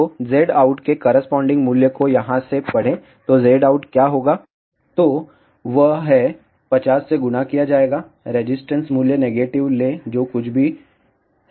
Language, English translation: Hindi, So, read the corresponding value of the Z out from here, so what will be Z out that will be 50 multiplied by whatever is the resistance value take negative of that